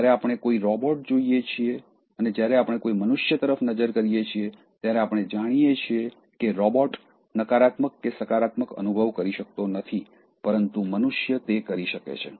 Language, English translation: Gujarati, So, when we look at a robot and when we look at a human being, we know that, robot cannot feel either negatively or positively, but human beings can feel